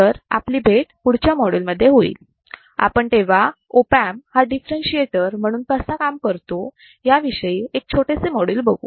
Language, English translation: Marathi, So, I will see you in the next module, and we will see quickly a very short module which will show the opamp as a differentiator